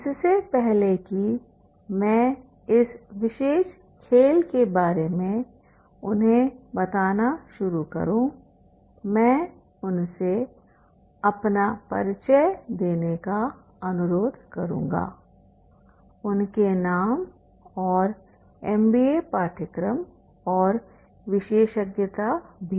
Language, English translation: Hindi, Before I start and telling them about this particular game I will request them to introduce themselves their name, MBA course of specialization also